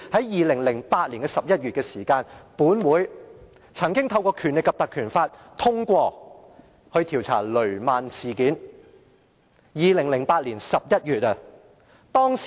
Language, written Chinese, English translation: Cantonese, 2008年11月，本會曾通過引用《立法會條例》調查雷曼事件，那是2008年11月。, In November 2008 a proposal was passed in this Council to invoke the Legislative Council Ordinance for the investigation of the Lehman incident and it was November in 2008 then